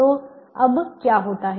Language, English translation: Hindi, so now what happened